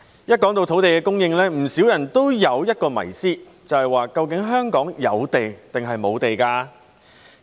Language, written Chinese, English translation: Cantonese, 每當談到土地供應，不少人都有一個迷思，便是究竟香港有地抑或無地。, When it comes to land supply quite a number of people have an unfathomable question Is land available in Hong Kong?